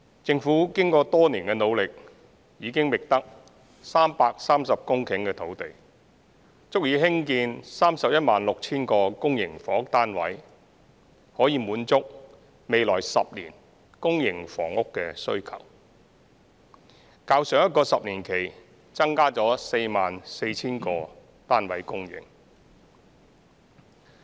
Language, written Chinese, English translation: Cantonese, 政府經過多年的努力，已經覓得330公頃土地，足以興建 316,000 個公營房屋單位，可以滿足未來10年公營房屋單位的需求，較上一個10年期增加了 44,000 個單位供應。, After many years of efforts the Government has identified 330 hectares of land to build 316 000 public housing units satisfying the demand for public housing units for the next decade and representing an increase of 44 000 units over last 10 - year period